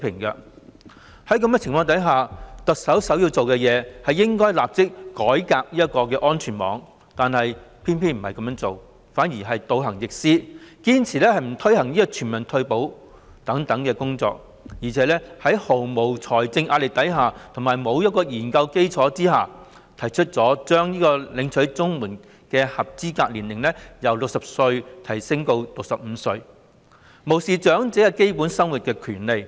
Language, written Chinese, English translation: Cantonese, 在這種情況下，特首首要做到的，是立即改革安全網，但她卻偏偏倒行逆施，堅持不推行全民退保等工作，而且在毫無財政壓力和研究基礎下，把領取長者綜援的合資格年齡由60歲提高至65歲，無視長者享有基本生活的權利。, In these circumstances the prime task for the Chief Executive is to reform the safety net immediately . However she has chosen to act perversely by insisting on not to undertake such tasks as introducing universal retirement protection and even though there is no financial pressure and without the basis of any study she raised the age eligible for receiving elderly CSSA from 60 years to 65 years totally disregarding the right of elderly people to meet their basic needs